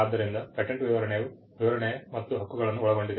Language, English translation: Kannada, So, the patent specification includes the description and the claims